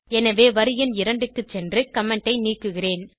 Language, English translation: Tamil, So I will go to line number 2, remove the comment